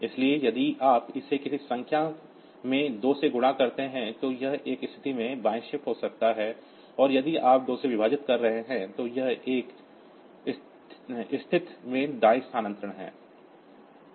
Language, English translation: Hindi, So, any number if you multiply it, it by 2, so it gets left shifted by one position and if you are multiplying a dividing by 2, so that is right shifting by one position if